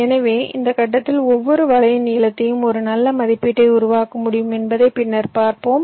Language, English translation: Tamil, so we shall see later that at this stage we can make a good estimate of the length of every net